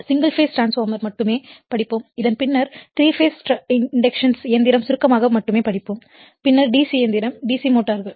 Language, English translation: Tamil, That we will study single phase transformers only and after this we will see that your 3 phase induction machine only in brief and then the DC machine will the DC motors right